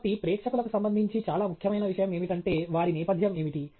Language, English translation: Telugu, So, the most important thing with respect to the audience is what is their background